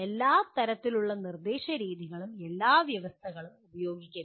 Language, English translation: Malayalam, Every type of instructional method should not be used in all conditions